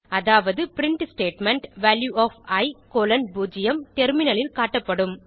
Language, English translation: Tamil, This means the first print statement Value of i colon 0 will be displayed on the terminal